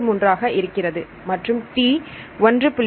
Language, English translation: Tamil, 33 A and T is 1